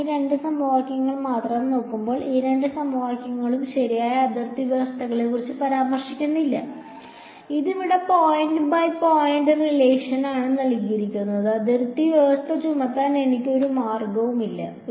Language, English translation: Malayalam, When I look at just these two equations over here these two equations there is no mention of boundary conditions right; this is a point by point relation over here and there is no way for me to impose the boundary condition